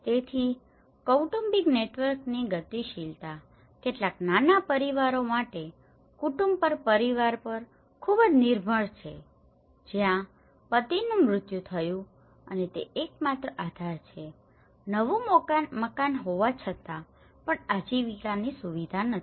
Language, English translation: Gujarati, So, the dynamics of the family networks have very dependent on family to family for some small families of where husband died and he is the only support but despite of having a new house but there is no livelihood facility